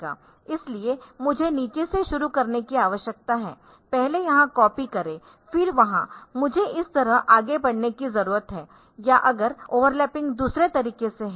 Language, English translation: Hindi, So, I need to start from the bottom first copy here then there I need to proceed like this or if the overlapping is in the other way